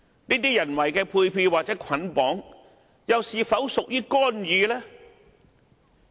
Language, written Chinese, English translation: Cantonese, 這種人為的配票或捆綁式投票，又是否屬於干預呢？, Is such allocation of votes or bundled voting a kind of interference?